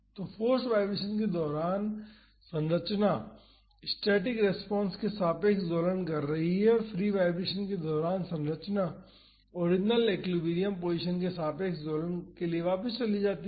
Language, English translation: Hindi, So, during the forced vibration the structure is oscillating about the static response and, during the free vibration the structure shifts back to oscillating about the original equilibrium position